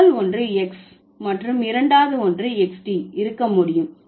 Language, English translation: Tamil, First one is X and the second one is something is able to be Xed